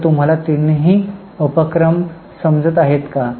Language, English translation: Marathi, So are you getting all the three activities